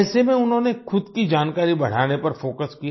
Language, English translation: Hindi, In such a situation, he focused on enhancing his own knowledge